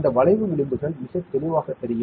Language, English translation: Tamil, These curve edges will be very clearly visible